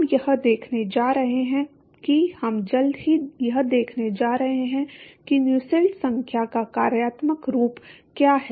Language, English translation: Hindi, We are going to see that, we are going to see what is the functional form of Nusselt number very soon